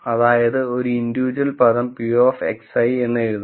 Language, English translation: Malayalam, So, the individual term is just written as p of x i